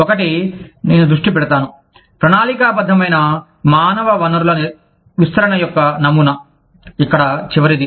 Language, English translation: Telugu, The one, i will focus on, is the pattern of planned human resource deployments, the last one here